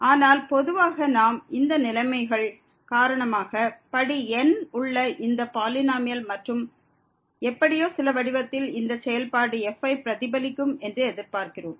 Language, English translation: Tamil, But in general also we expect that because of these conditions that this polynomial of degree and somehow in some form will represent the function